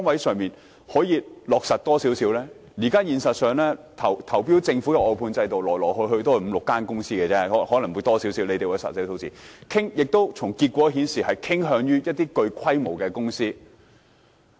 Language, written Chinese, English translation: Cantonese, 事實上，參與政府投標的外判公司來來去去也是那五六間公司——可能有更多，政府有實際的數字——從結果顯示，政府傾向一些具規模的公司。, Actually only five to six outsourcing companies will participate in government tenders―the number might be higher; the Government has the actual figure―judging from the results the Government is inclined to sizable companies